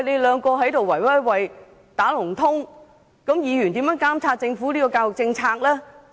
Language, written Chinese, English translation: Cantonese, 兩個局互相"打龍通"，議員如何監察政府的教育政策呢？, With the Education Bureau and HKEAA colluding with each other how can Members monitor the Governments education policies?